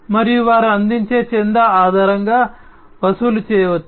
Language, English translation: Telugu, And they can be charged based on the subscription that is offered